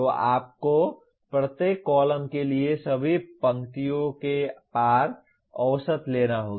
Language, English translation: Hindi, So you have to take the average over across all the rows for each column